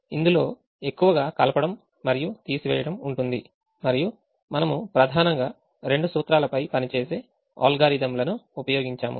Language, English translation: Telugu, so in all this we have used algorithms which involve largely addition and subtraction, and we have used algorithms which primarily work on two principles